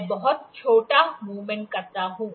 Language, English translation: Hindi, I make a very small movement